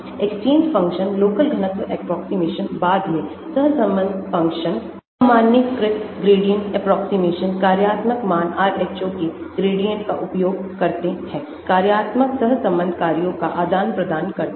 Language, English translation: Hindi, exchange functionals , local density approximations later, correlation functionals, generalized gradient approximation, functional values use gradient of Rho, exchange functional correlation functions